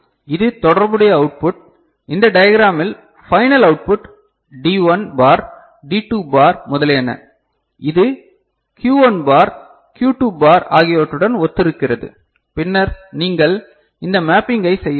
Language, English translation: Tamil, And this is the corresponding output, final output in this diagram D1 bar, D2 bar, etcetera, etcetera, which corresponds to Q1 bar, Q2 bar and then you can do this mapping fine